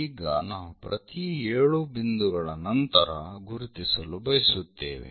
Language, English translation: Kannada, So, we would like to mark after every 7 points